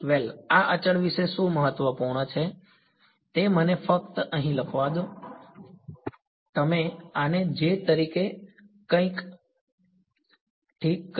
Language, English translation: Gujarati, Well what is important about these constants are let me just write it over here you said this as a j into something ok